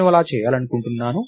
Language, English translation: Telugu, I should be able to do it